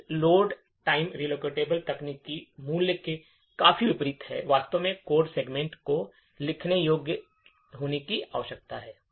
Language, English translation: Hindi, This is quite unlike the Load time relocatable technique value actually required the code segment to be writable